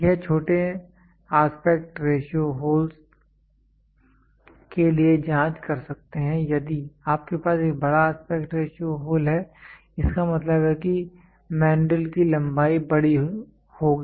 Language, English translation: Hindi, This can check for small aspect ratio holes if you have a large aspect ratio holes; that means, to say the length of the of the mandrill will be larger